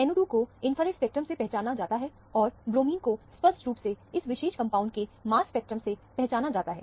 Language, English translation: Hindi, The NO 2 is identified from the infrared spectrum, and the bromine is unambiguously identified from the mass spectrum of this particular compound